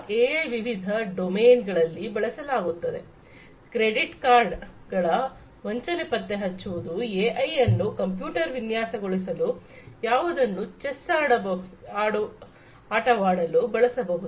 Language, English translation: Kannada, AI finds the application in different domains in for credit card fraud detection AI could be used, AI could be used for designing a computer, which can play the game of chess